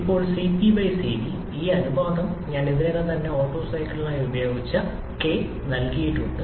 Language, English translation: Malayalam, Now Cp/Cv, this ratio is given by K which I already used in Otto cycle